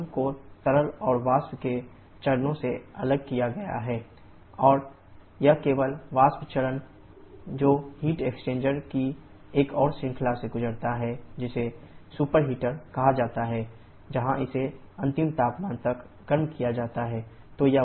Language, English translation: Hindi, Then we supply to a boiler dru,m in the drum the liquid and vapour phases are separated and it is only the vapour phase that passes to another series of heat exchanger, which is called the superheater where it is heated upto the final temperature